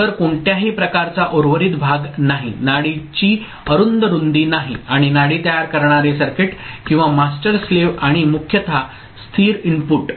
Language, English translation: Marathi, So, no round about way, no narrow pulse width and the pulse forming circuit or master slave and basically stable input at the master